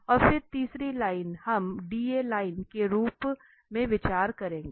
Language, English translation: Hindi, And then the third line we will consider as the DA line